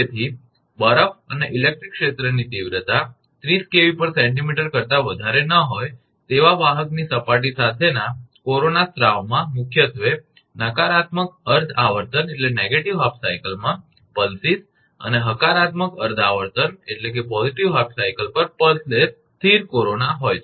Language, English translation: Gujarati, So, corona discharges with conductor surface covered with snow and electric field intensity not exceeding 30 kilovolt per centimetre consists mainly of pulses in negative half cycles and pulseless steady corona at positive half cycles